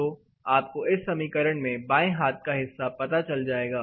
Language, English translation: Hindi, In this formula, then you will know the left hand side